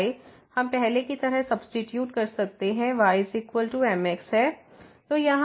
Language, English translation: Hindi, So, y we can substitute as earlier, is equal to